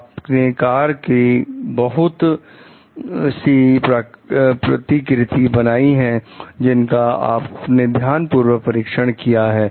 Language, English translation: Hindi, Several prototypes of the cars are built which you checked carefully